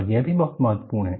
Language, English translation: Hindi, And, that is also very important